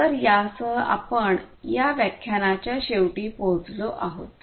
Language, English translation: Marathi, So, with this we come to an end of this thing